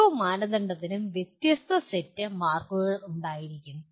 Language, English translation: Malayalam, And each criterion may have a different set of marks assigned to that